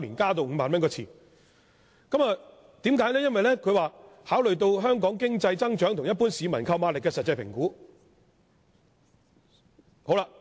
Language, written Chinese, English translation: Cantonese, 政府表示，考慮到香港經濟增長及一般市民的購買力後作出調整。, The Government said that the adjustment was made after considering the economic growth of Hong Kong and the purchasing power of the general public